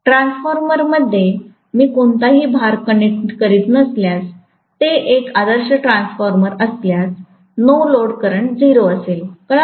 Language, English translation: Marathi, In a transformer if I am not connecting any load, if it is an ideal transformer, the no load current should be 0, got it